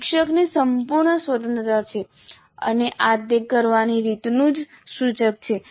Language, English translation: Gujarati, Teacher has a complete freedom and this is only an indicative of the way it needs to be done